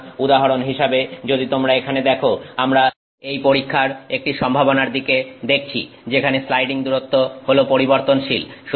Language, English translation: Bengali, So, for example, if you see here we are looking at one possibility of this experiment where the variable is the sliding distance